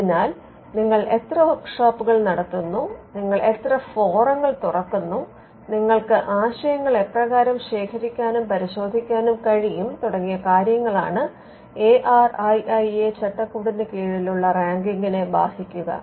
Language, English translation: Malayalam, So, how many workshops you conduct, how many forums open forums you have, what are the ways in which ideas can be collected and verified and scrutinized all these things would affect the ranking under the ARIIA framework